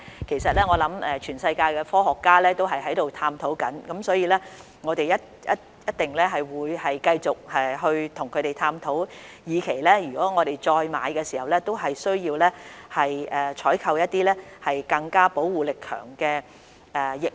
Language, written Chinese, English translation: Cantonese, 其實，我相信全球科學家亦正在探討，我們一定會繼續跟他們探討，以期為香港市民再購買疫苗時會採購一些保護力更強的疫苗。, Actually I believe that scientists around the world are also studying this issue . We will certainly continue to discuss it with them with a view to procuring vaccines with stronger protection for Hong Kong people when we purchase vaccines again